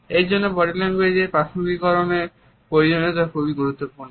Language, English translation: Bengali, So, that is why we find that the need to contextualize body language is very important